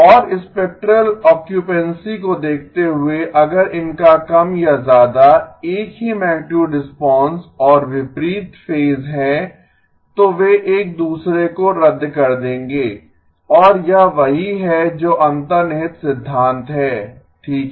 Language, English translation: Hindi, And looking at the spectral occupancy if these have more or less the same magnitude response and opposite phase they would cancel each other and that is what is the underlying principle okay